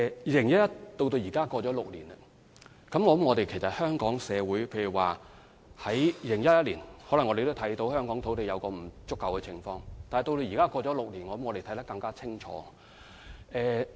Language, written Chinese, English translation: Cantonese, 2011年距今已有6年，我相信香港社會在2011年雖然看到香港土地存在不足的問題，但這問題在6年後的今天應更加明顯。, It has been six years since 2011 . I believe that while our society could already see the land shortage in Hong Kong back in 2011 the problem should have turned even more conspicuous today after six years